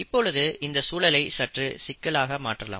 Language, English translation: Tamil, Now, let us complicate things slightly